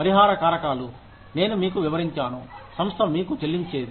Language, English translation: Telugu, The compensable factors, as I explained to you, what the organization pays you for